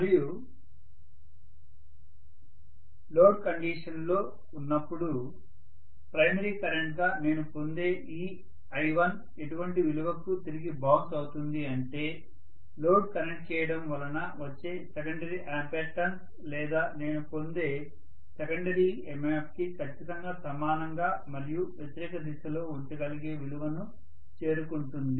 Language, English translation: Telugu, And this I1 what I get as the primary current under load condition will bounce back to such a value that it will be exactly equal and opposite to that of the secondary ampere turns or secondary MMF I got because of the load being connected